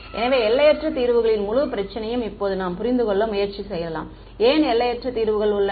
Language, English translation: Tamil, So, now we can try to understand the whole problem on infinite solutions why are there infinite solutions